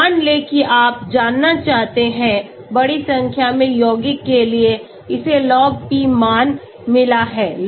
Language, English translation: Hindi, Suppose you want to know see it has got Lop P values for large number of compounds